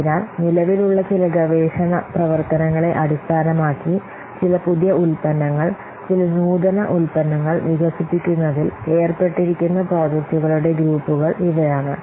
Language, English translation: Malayalam, So these are the groups of projects which are involved in developing some new products, some innovative product, based on some current research work